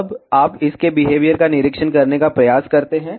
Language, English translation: Hindi, Now, you try to observe its behavior